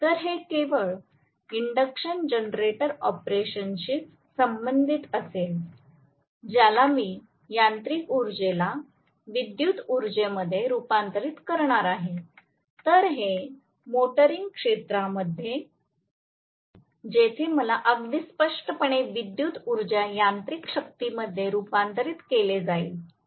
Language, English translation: Marathi, So this will correspond only to induction generator operation where I am going to convert mechanical power into electrical power whereas this happens in motoring region, where I am going to have very clearly electrical power is converted into mechanical power